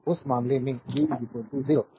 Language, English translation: Hindi, And in that case v is equal to 0